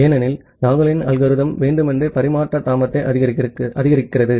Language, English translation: Tamil, Because Nagle’s Nagle’s algorithm intentionally increasing the delay in transfer